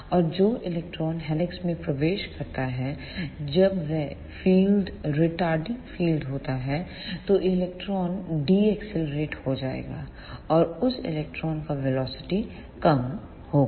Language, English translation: Hindi, And the electron which enters the helix, when the field is retarding field then the electron will be decelerated and the velocity of that electron will be less